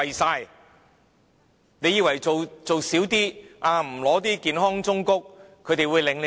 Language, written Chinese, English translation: Cantonese, 它以為做少一些，不要健康忠告，他們便會領情。, The Government thinks that these people will feel grateful if it does something less by omitting the health advice